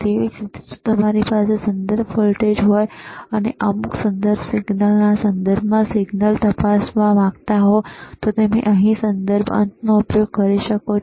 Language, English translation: Gujarati, Similarly, if you have a reference voltage, and you want to check that is the signal with respect to some reference signal, then you can use a reference terminal here,